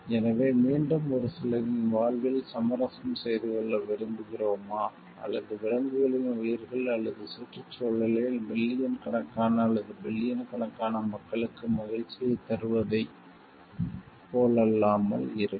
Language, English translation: Tamil, So, again it is unlike whether we are looking for compromising on the lives of a few people, or animal lives or the environment to give bringing happiness to the maybe millions, or billions of people the majority